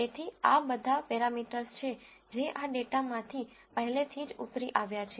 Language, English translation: Gujarati, So, these are all parameters that have already been derived out of this data